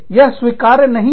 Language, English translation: Hindi, It is not accepted